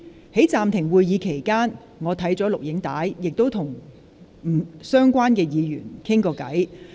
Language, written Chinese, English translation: Cantonese, 在暫停會議期間，我已翻看有關錄影片段，亦曾與相關議員傾談。, I therefore suspended the meeting to review the video recording and have a discussion with the Members concerned